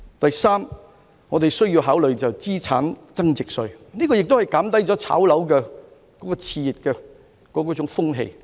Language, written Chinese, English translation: Cantonese, 第三，我們需要考慮資產增值稅，這有助減低炒賣樓宇的熾熱風氣。, Third it is necessary for us to consider the capital gains tax which can help curb the exuberance in property speculation